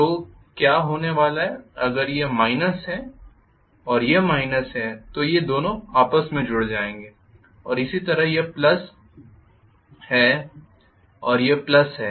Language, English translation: Hindi, So what is going to happen is if this is minus and this is minus these 2 will be connected together and similarly this is plus and this is plus